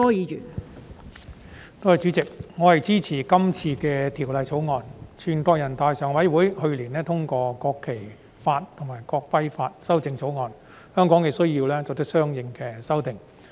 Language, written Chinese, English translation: Cantonese, 全國人民代表大會常務委員會去年通過《國旗法》及《國徽法》的修正草案，香港亦需要作出相應的修訂。, The Standing Committee of the National Peoples Congress endorsed the amendments to the Law of the Peoples Republic of China on the National Flag and Law of the Peoples Republic of China on the National Emblem last year so Hong Kong also needs to make corresponding amendments